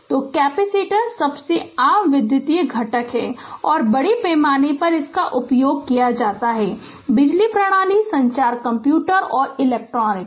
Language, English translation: Hindi, So, capacitors are most common electrical component and are used extensively in your power system, communication computers and electronics